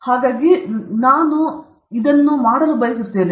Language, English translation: Kannada, So, I will just come, I want to see you